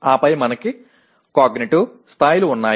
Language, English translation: Telugu, And then we have cognitive levels